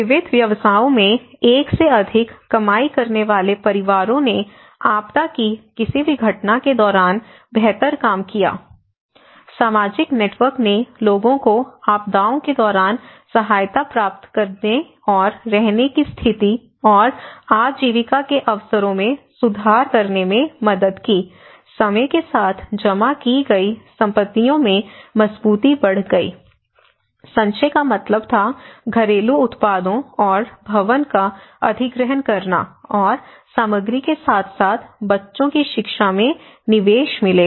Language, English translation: Hindi, Households having more than one earning member in diversified professions did better during any event of disaster, social network helped people to get assistance during disasters and improved living conditions and livelihood opportunities, assets accumulated over time increased resilience, accumulation meant acquiring saleable household products and building materials as well as investing in children's education